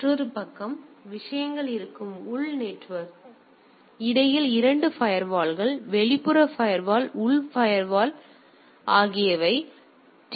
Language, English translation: Tamil, Another side is the internal network where things are; there are 2 firewall outer firewall and inner firewall in between there are several things